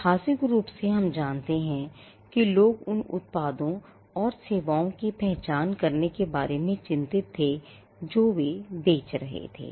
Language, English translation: Hindi, Historically we know that people used to be concerned about identifying the products and the services they were selling